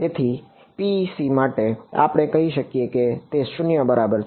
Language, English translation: Gujarati, So, for PEC we can say that E z is equal to 0